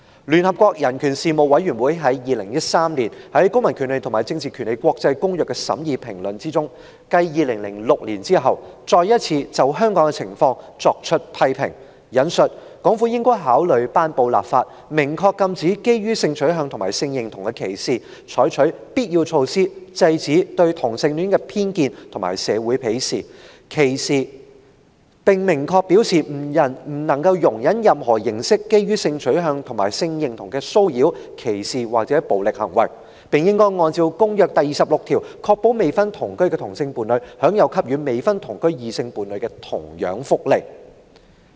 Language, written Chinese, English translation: Cantonese, 聯合國人權事務委員會在2013年於《公民權利和政治權利國際公約》的審議評論中，繼2006年之後，再次評論香港的情況："港府應考慮頒布法例，明確禁止基於性取向和性認同的歧視，採取必要措施制止對同性戀的偏見和社會岐視，並明確表示不容忍任何形式基於性取向和性認同的騷擾、歧視或暴力行為，並應按照《公約》第26條，確保未婚同居的同性伴侶享有給予未婚同居的異性伴侶的同樣福利。, In 2013 the UNCHR gave its comments again in its Concluding Observations issued under the International Covenant on Civil and Political Rights on the situation in Hong Kong after those made in 2006 I quote Hong Kong China should consider enacting legislation that specifically prohibits discrimination on ground of sexual orientation and gender identity take the necessary steps to put an end to prejudice and social stigmatization of homosexuality and send a clear message that it does not tolerate any form of harassment discrimination or violence against persons based on their sexual orientation or gender identity . Furthermore Hong Kong China should ensure that benefits granted to unmarried cohabiting opposite - sex couples are equally granted to unmarried cohabiting same - sex couples in line with article 26 of the Covenant